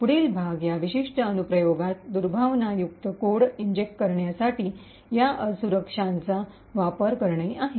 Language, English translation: Marathi, The next part is to use this vulnerability to inject malicious code into that particular application